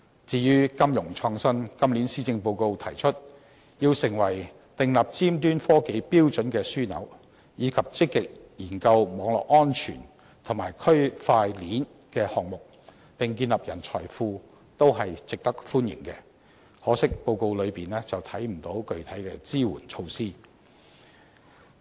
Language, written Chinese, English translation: Cantonese, 至於金融創新，今年施政報告提出要使香港成為訂立尖端科技標準的樞紐，以及積極研究網絡安全及區塊鏈的項目，並建立人才庫，這些都是值得歡迎的，可惜在報告內卻未見到具體的支援措施。, On financial innovation the Policy Address this year proposes establishing Hong Kong as a hub for the setting of standards for cutting - edge technology actively studying projects on cyber security and Blockchain and building a pool of talent . While these should all be welcome the Address has regrettably stopped short of discussing the provision of concrete support measures